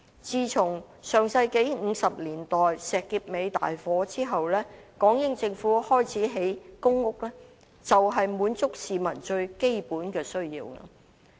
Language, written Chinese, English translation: Cantonese, 自從上世紀50年代石硤尾大火後，港英政府開始興建公屋，便是要滿足市民最基本的需要。, Since the Shek Kip Mei fire in the 1950s of the last century the British - Hong Kong Government launched the production of public housing precisely with the objective of meeting the most fundamental needs of the people